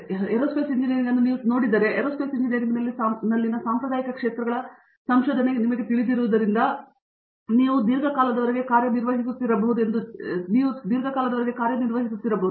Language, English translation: Kannada, So, if you look at Aerospace Engineering in general, what you would consider as you know traditional areas of research in Aerospace Engineering which may be you know people may have been working on for a long time